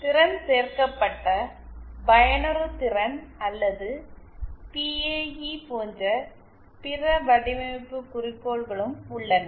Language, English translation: Tamil, Then there are other design goals as well like Power Added Efficiency or PAE